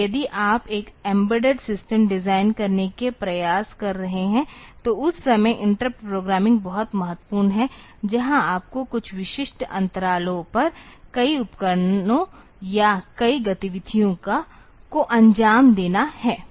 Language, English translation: Hindi, So, that way interrupt programming is very important if you are trying to design an embedded system, where you have got a number of devices or number of activities to be carried on at some specific intervals of time